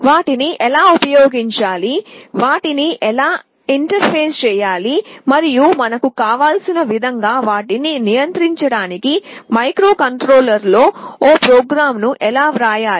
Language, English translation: Telugu, How to use them, how to interface them, and how to write a program in the microcontroller to control them in the way we want